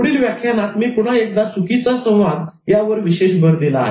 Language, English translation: Marathi, In the next lecture, I again focus particularly on miscommunication